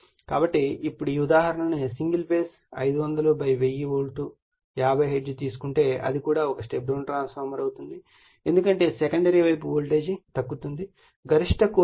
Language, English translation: Telugu, So, now if you take this example single phase 500 / 1000 volt 50 hertz then it will also a step down transformer because voltage is getting reduced on the secondary side has a maximum core flux density is 1